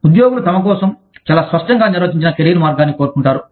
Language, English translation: Telugu, Employees want, very clearly defined career path, for themselves